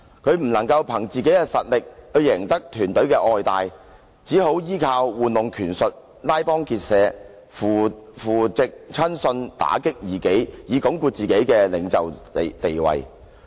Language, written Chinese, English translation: Cantonese, 他不能憑自己的實力去贏得團隊的愛戴，便依靠玩弄權術、拉幫結派、扶植親信、打擊異己，以鞏固自己的領袖地位。, As he cannot win the respect and support of his team with his actual strength he plays tricks forms factions fosters confidants and cracks down dissidents to consolidate his position as a leader